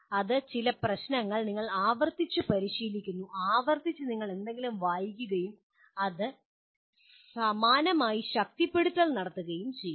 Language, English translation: Malayalam, That is practicing some problems you keep on repeating, repeatedly you read something and similarly “reinforcement”